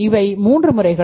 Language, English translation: Tamil, So, these are the three methods